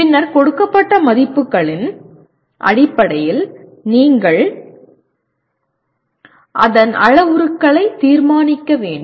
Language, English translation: Tamil, And then based on the values given you have to determine the parameters of that